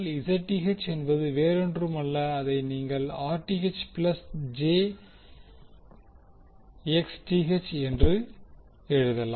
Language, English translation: Tamil, You can write Zth is nothing but that is Rth plus j Xth